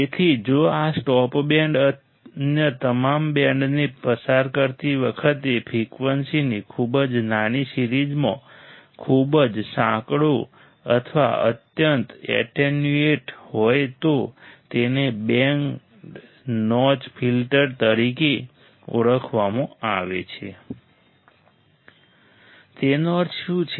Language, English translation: Gujarati, So, if this stop band is very narrow or highly attenuated over a very small range of frequency while passing all the other bands, it is more referred to as band notch filter what does that mean